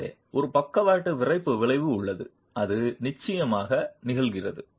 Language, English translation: Tamil, So, there is a lateral stiffening effect that is definitely occurring